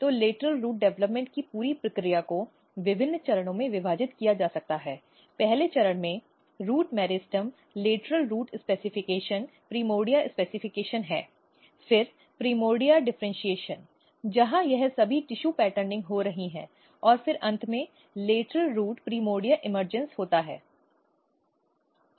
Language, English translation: Hindi, So, the entire process of lateral root development can be divided into different stages; the first stage is the root meristem lateral root specification primordia specification, then the primordia differentiation where all this tissue patterning is happening and then finally, lateral root primordia emergence